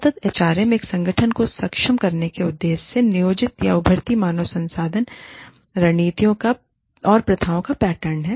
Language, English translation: Hindi, Sustainable HRM is the pattern of planned or, emerging human resource strategies and practices, intended to enable an organization